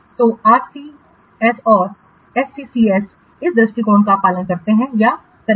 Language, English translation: Hindi, So, RCCS and the SCSCS do or follow this approach